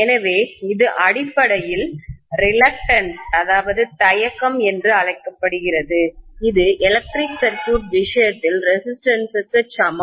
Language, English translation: Tamil, So this is essentially something called reluctance which is equivalent to the resistance in the case of an electric circuit